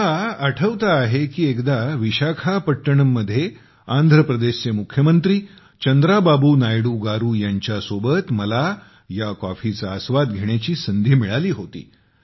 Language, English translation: Marathi, I remember once I got a chance to taste this coffee in Visakhapatnam with the Chief Minister of Andhra Pradesh Chandrababu Naidu Garu